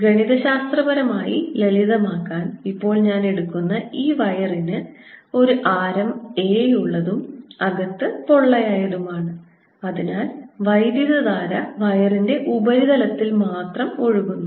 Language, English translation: Malayalam, to save myself from mathematical difficulties right now, i take this wire to be such that it has a radius a and is hollow, so that the current flows only on the surface of the wire